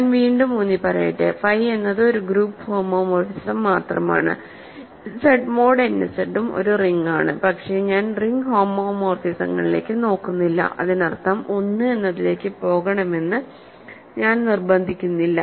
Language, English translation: Malayalam, So, let me emphasise again phi is just a group homomorphism, Z mod n Z is also a ring, but I am not looking at ring homomorphisms; that means, I am not insisting that 1 goes to 1